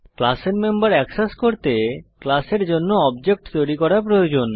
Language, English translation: Bengali, To access the members of a class , we need to create an object for the class